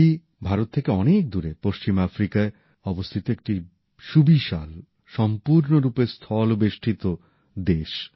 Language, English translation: Bengali, Mali is a large and land locked country in West Africa, far from India